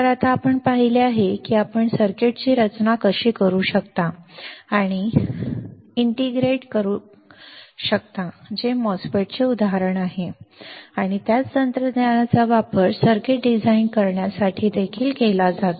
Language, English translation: Marathi, So, now, we have seen how you can design and integrated circuit right which is the example of a MOSFET and the same technology is used for designing the circuit as well